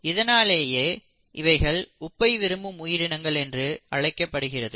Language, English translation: Tamil, This is what is called as the salt loving organisms